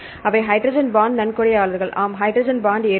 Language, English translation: Tamil, Hydrogen bond donor yes hydrogen bond acceptor